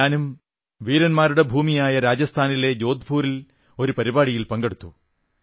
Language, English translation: Malayalam, I too participated in a programme held at Jodhpur in the land of the valiant, Rajasthan